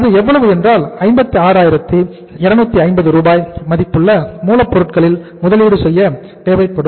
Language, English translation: Tamil, 56,250 Rs worth of raw materials investment will be required